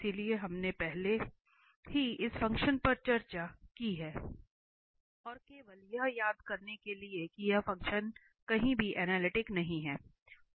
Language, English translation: Hindi, So, we have already discussed this function and just to recall that this function is nowhere analytic